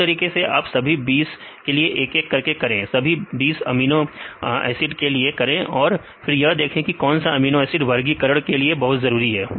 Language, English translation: Hindi, Likewise, you can do all the 20 you can do one by one one amino acid and then see which amino acids are not very important for classification